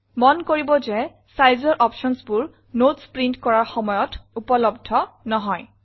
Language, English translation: Assamese, Notice that the Size options are not available when we print Notes